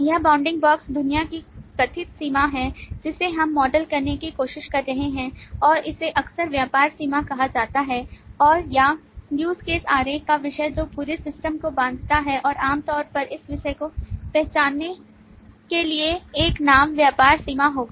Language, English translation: Hindi, This bounding box is the perceived boundary of the world that we are trying to model, and it is often called the business boundary and or the subject of the use case diagram, which bounds the whole system and typically subject will have a name to identify this particular business boundary